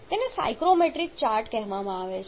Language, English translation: Gujarati, This is called the psychrometric chart